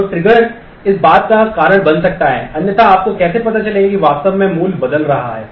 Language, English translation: Hindi, So, trigger can make this thing happened because otherwise how will you know what value is actually getting changed